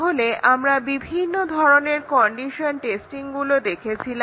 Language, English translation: Bengali, But there are other conditional testing techniques